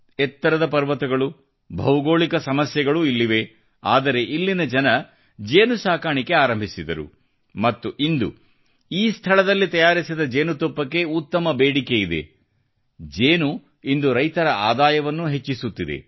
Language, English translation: Kannada, There are steep mountains, geographical problems, and yet, people here started the work of honey bee farming, and today, there is a sizeable demand for honey harvested at this place